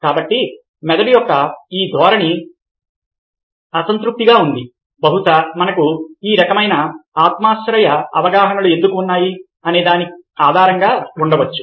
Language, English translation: Telugu, so this tendency of the brain to complete that which is incomplete is probably at the basic of why we have subjective perceptions of this kind